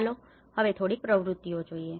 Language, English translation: Gujarati, Now, let us say a few activities